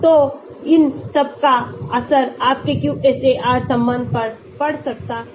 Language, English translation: Hindi, So, all these can have effect on your QSAR relationship